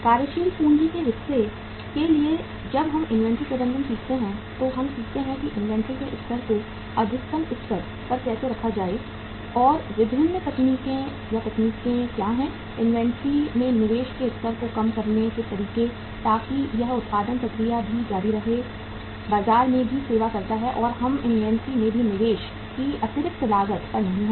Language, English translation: Hindi, For the working capital uh part when we learn the inventory management we learn that how to keep the level of inventory at the optimum level and what are the different techniques, methods to minimize the level of investment in the inventory so that it continues the production process also, serves the market also and we are not to be at the extra cost of investment in the inventory also